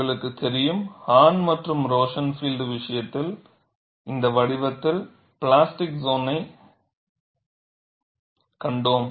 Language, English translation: Tamil, You know, in the case of Hahn and Rosenfield, we have seen the plastic zone in this shape